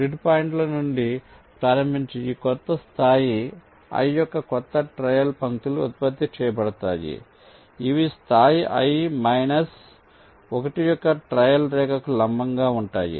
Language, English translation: Telugu, starting from the grid points, new trail lines of this new level i are generated that are perpendicular to the trail trail line of level i minus one